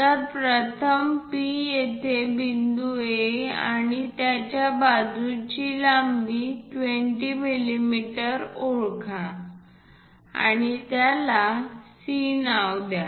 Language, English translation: Marathi, So, P first identify point A point A here and a side length of 20 mm and name it C